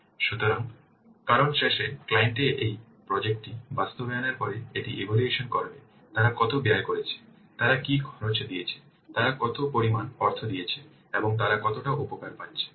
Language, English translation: Bengali, So, because at the end, the client will assess this that after implementing this project, how much they have spent, what cost they have given, how much amount they have given, and how much benefit they are getting